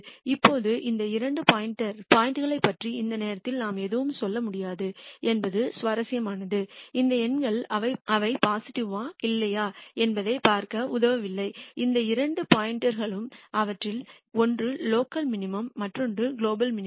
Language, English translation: Tamil, Now, it is interesting that at this point we cannot say anything more about these two points these numbers do not help we just look whether they are positive or not and of these two points clearly one of them is a local minimum another one is a global minimum